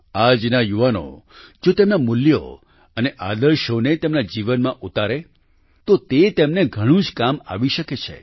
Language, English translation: Gujarati, If the youth of today inculcate values and ideals into their lives, it can be of great benefit to them